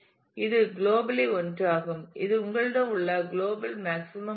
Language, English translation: Tamil, Whereas this is the global one this is a global maximum that you have